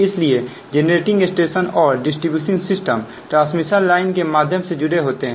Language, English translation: Hindi, so generating station and distribution system are connected through transmission lines